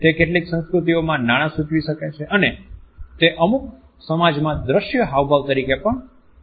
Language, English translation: Gujarati, It may also suggest money in certain cultures and it can even be considered to be an of scene gestures in certain societies